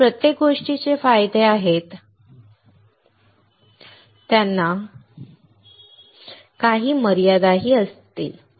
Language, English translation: Marathi, Everything that has advantages would also have some limitations